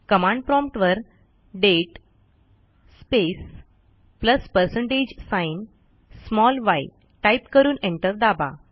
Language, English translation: Marathi, Type at the prompt date space plus percentage sign small y and press enter